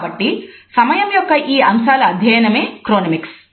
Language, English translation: Telugu, So, these aspects of time would be studied in Chronemics